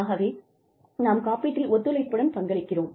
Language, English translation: Tamil, So, we are collaboratively contributing, towards the insurance